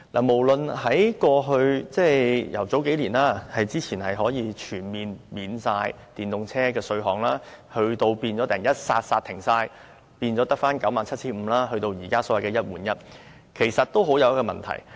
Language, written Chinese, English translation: Cantonese, 無論是數年前可以全面豁免電動車的稅項，到突然全部煞停，只有 97,500 元的豁免，到現時的"一換一"，其實很有問題。, All his measures on promoting EVs―the total waiver of First Registration Tax FRT several years ago the complete and abrupt replacement of the waiver by a cap of 97 500 later and the one - for - one replacement scheme now―are actually very problematic